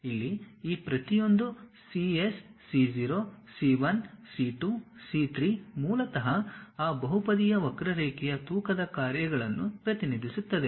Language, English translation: Kannada, Here each of this cs c0, c 1, c 2, c 3 basically represents the weight functions of that polynomial curve